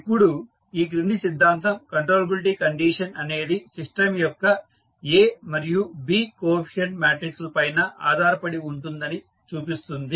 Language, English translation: Telugu, Now, the following theorem shows that the condition of controllability depends on the coefficient matrices A and B of the system